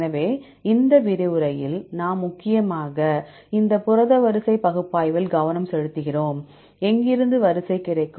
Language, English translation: Tamil, So, in this lecture we mainly focus on this protein sequence analysis, right where shall we get the sequence